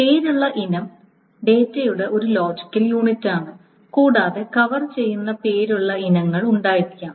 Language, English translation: Malayalam, A named item is essentially any logical unit of data can be a named item